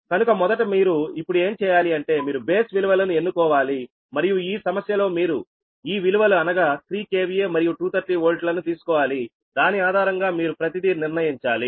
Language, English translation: Telugu, first, what you have to do is you have to choose base base values right, and in this problem, in this problem that is, given that you have to take this value, three k v a and two thirty volt, and based on that you have to determine everything right